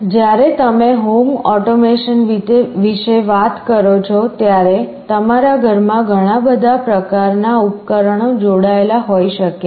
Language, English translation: Gujarati, When you talk about home automation, in your home there can be so many kind of devices connected